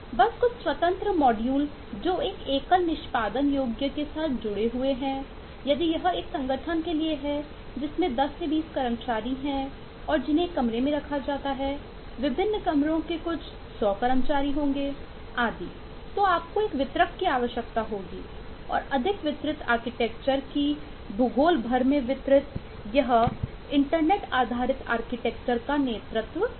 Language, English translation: Hindi, your architecture may not need anything at all, just a couple of independent modules which are linked together into one single executable if it is for an organisation which is housed in a single room with 10, 20 employees, couple of different rooms, 100 employees and so on, you will need to have a distributor, more distributor architecture distributed across geographies lead to internet based architecture